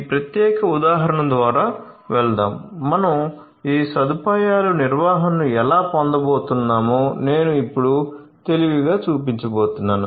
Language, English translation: Telugu, So, let us run through this particular example, I am going to now show you step wise how we are going to how we are going to have this facility management right